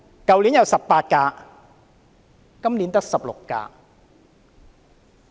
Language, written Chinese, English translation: Cantonese, 去年有18輛，今年只有16輛。, Last year there were 18 and this year there are only 16